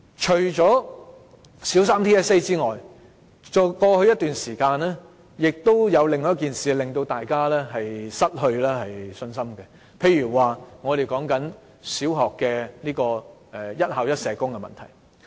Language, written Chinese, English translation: Cantonese, 除了小三 TSA 外，過去一段時間還有另一件事令大家失去信心，就是小學"一校一社工"的問題。, Apart from TSA for primary three students another issue also drained away our confidence recently . The issue is having one social worker for each primary school